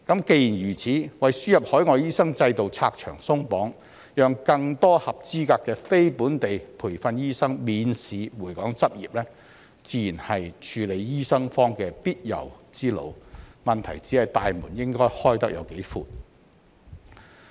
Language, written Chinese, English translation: Cantonese, 既然如此，為輸入海外醫生制度拆牆鬆綁，讓更多合資格的非本地培訓醫生免試回港執業，自然是處理醫生荒的必由之路，問題只是"大門"應該開得有多闊。, Since this is the case removing the barriers to the system of importing overseas doctors and allowing more qualified NLTD to return to Hong Kong to practise without passing the Examination is the natural way to deal with the shortage of doctors the only question is how wide the door should be opened